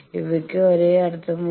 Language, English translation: Malayalam, These have same meaning